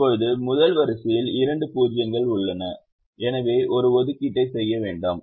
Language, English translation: Tamil, the first row has two zeros, therefore don't make an assignment